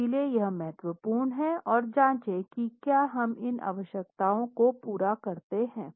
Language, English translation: Hindi, So, it is important to go and check if we satisfy these requirements